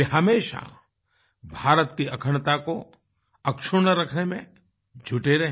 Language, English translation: Hindi, He always remained engaged in keeping India's integrity intact